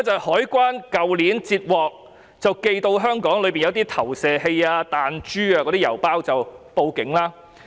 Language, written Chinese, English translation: Cantonese, 海關去年截獲寄到香港的郵包，當中有投射器、彈珠，然後報警。, Last year the Customs and Excise Department made a report to the Police after intercepting a parcel delivered to Hong Kong that contained a catapult and projectiles